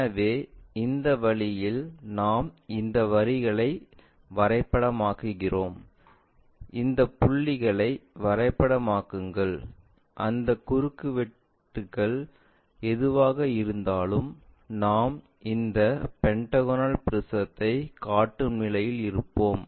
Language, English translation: Tamil, So, in this way we map these lines, map these points whatever those intersection we are having from that we will be in a position to construct this pentagonal prism